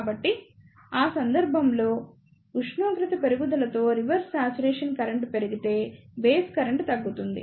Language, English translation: Telugu, So, in that case if the reverse saturation current increases with increase in temperature, there will be a document in base current